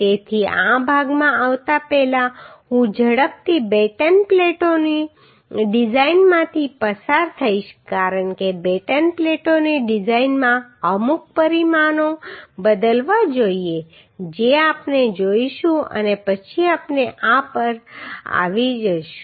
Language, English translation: Gujarati, So before coming to this portion I will just quickly go through the design of batten plates because in design of batten plates certain dimensions should be changed that we will see and then we will come to this